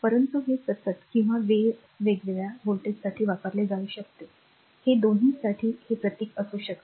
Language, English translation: Marathi, But this one it can be used for constant or time varying voltage this can be this symbol meaning for both